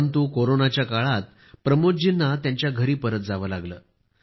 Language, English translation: Marathi, But during corona Pramod ji had to return to his home